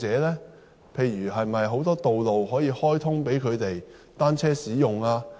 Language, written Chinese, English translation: Cantonese, 例如可否開通更多道路予單車使用？, For example can it open more roads to be used by cyclists?